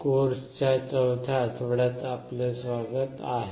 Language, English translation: Marathi, Welcome to week 4 of the course